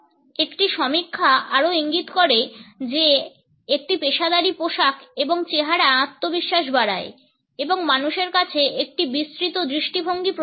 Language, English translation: Bengali, A study also indicate that a professional dress and appearance increases confidence and imparts a broader perspective to people